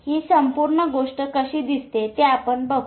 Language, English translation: Marathi, We will see how the whole thing looks like